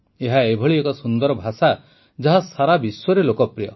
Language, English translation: Odia, It is such a beautiful language, which is popular all over the world